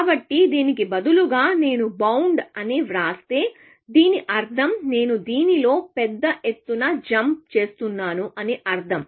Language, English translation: Telugu, So, instead of this, if I write bound, it means that I am making a bigger jump in this, essentially